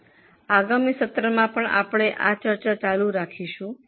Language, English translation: Gujarati, We will continue over discussion in the next session